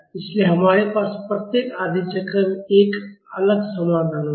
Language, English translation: Hindi, So, we will have a separate solution in each half cycle